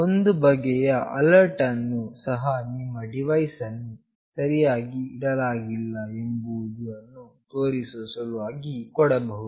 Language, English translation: Kannada, Some kind of alert may be given to indicate that the device is not properly placed